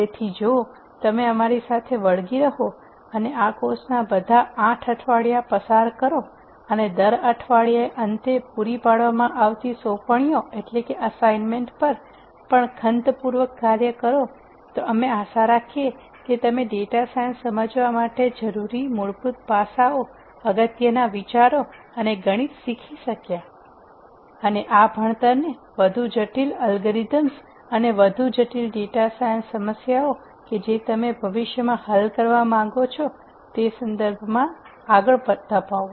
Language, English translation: Gujarati, So, if you stick with us and get through all the eight weeks of this course and also diligently work on the assignments that are provided at the end of every week then we hope that you learn the fundamentals of data science, you get some fundamental grounding on important ideas and the math that you need to learn to understand data science and take this learning forward in terms of more complicated algorithms and more complicated data science problems that you might want to solve in the future